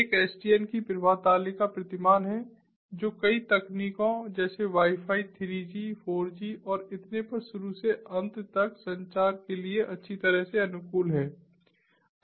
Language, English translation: Hindi, one is the flow table paradigm of sdn, which is well suited for end to end communication over multiple technologies such as wifi, three g, four g and so on and so forth